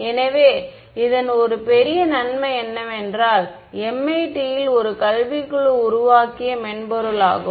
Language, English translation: Tamil, So, one big advantage of it is a software made by a academic group at MIT